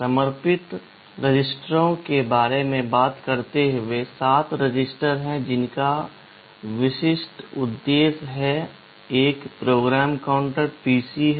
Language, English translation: Hindi, Talking about dedicated registers, there are 7 registers which have specific purpose; one is the PC